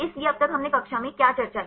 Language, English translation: Hindi, So, till now what did we discuss in the class